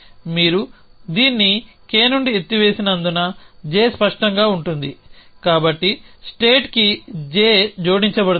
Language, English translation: Telugu, Because you have lifted it K away from this j will become clear so clear j will be added to the state